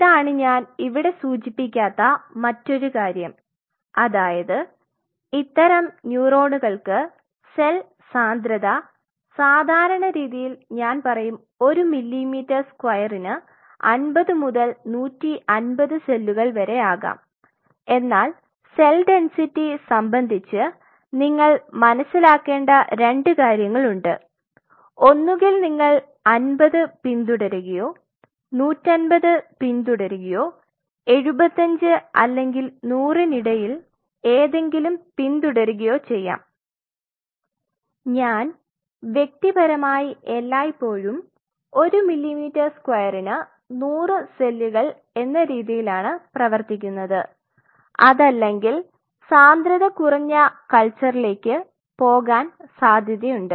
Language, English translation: Malayalam, So, this is another thing which I have not mentioned here cell density, mostly for these such small neurons are typically at the rate of I would say you know anything between 50 to 150 cells per millimeter square typically, depending on because there are 2 things you have to realize here about the cell density and this has to be defined very clearly either you follow 50 or you follow 150 or you follow anything in between say 75 or 100, I personally has always typically worked with 100 cells per millimeter square unless otherwise there is a demand for a very low density culture